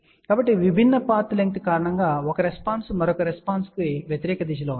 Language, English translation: Telugu, So, because of the different path length so, one response is in the opposite direction of the other response